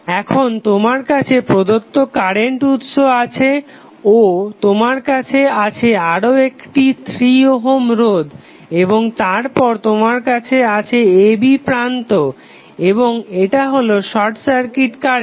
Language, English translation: Bengali, Now, you have the given current source and you have another 3 ohm resistance and then you have terminal a, b and this is the short circuit current